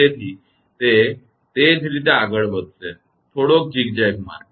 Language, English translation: Gujarati, So, that is the same way it will move; little bit zigzag way